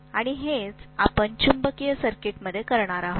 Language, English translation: Marathi, And that’s what we are going to do in magnetic circuits